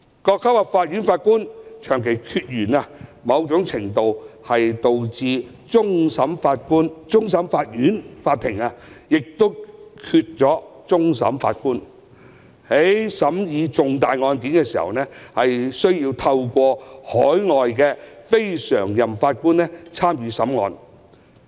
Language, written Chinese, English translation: Cantonese, 各級法院的法官長期缺員，某程度上導致終審法院欠缺法官，而令其在審議重大案件時，需要聘請海外非常任法官。, The long - standing understaffing of Judges at various levels of court has to a certain extent led to the shortage of Judges of CFA necessitating engagement of overseas non - permanent Judges for hearing significant cases